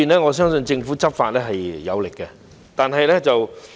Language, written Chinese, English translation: Cantonese, 我相信政府在這方面的執法是有力的。, I believe the Governments enforcement in this regard is effective